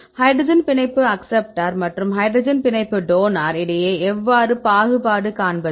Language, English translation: Tamil, What difference between hydrogen bond acceptor and hydrogen bond donor, how to discriminate hydrogen bond acceptor and hydrogen bond donor